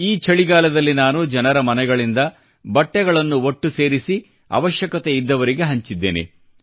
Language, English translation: Kannada, This winter, I collected warm clothes from people, going home to home and distributed them to the needy